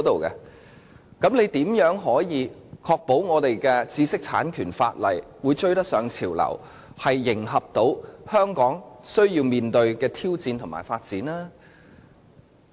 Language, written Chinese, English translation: Cantonese, 那麼，政府又如何能確保我們的知識產權法可追得上潮流，能迎合香港須面對的挑戰和發展呢？, As such how can the Government ensure that our intellectual property rights law can catch up with the trend cater to the challenges and complement the development lying ahead in Hong Kong?